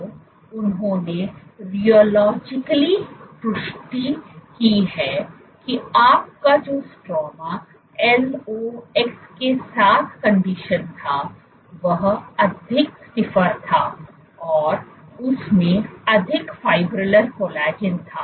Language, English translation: Hindi, So, they confirmed rheologically that these was, so your stroma conditioned with LOX was stiffer, more linearised and had more fibrillar collagen